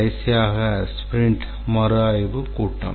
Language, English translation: Tamil, So, during the sprint review meeting